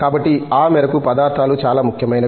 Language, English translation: Telugu, So, to that extent materials are that important